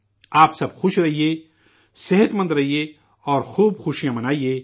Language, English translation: Urdu, You all be happy, be healthy, and rejoice